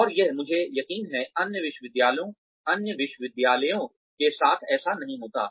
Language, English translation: Hindi, And this, I am sure, this was not the case, with the other universities